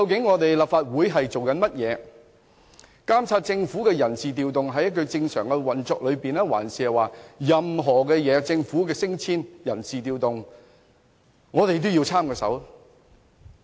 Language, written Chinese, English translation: Cantonese, 我們是否連政府的人事調動等正常運作或政府的人事調動和升遷都要插手呢？, Are we going to intervene in normal operations within the Government like staff deployment or promotion?